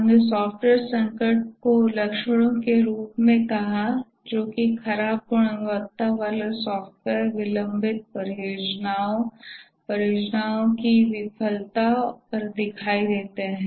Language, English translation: Hindi, We said the software crisis as symptoms which show up as poor quality software, delayed projects, project failure, and so on, costly and so on